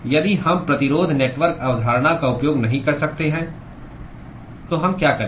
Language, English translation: Hindi, If we cannot use resistance network concept, what do we do